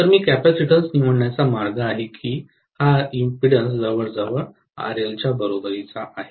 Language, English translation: Marathi, So, I am going to choose the capacitance is such a way that this impedance is almost equal to RL itself